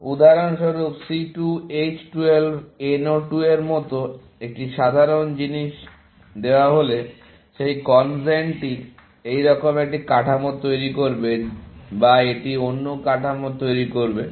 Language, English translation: Bengali, For example, given a simple thing like C 2 H 12 NO 2, this CONGEN would produce a structure like this, or it would produce another structure